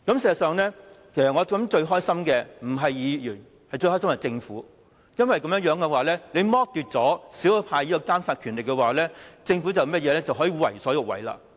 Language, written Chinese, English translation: Cantonese, 事實上，我想最高興的不是議員而是政府，因為剝奪了少數派的監察權力，政府就可以為所欲為。, I think the Government instead of Members is actually the most cheerful party as when the monitoring power of the minority camp is taken away it can act wilfully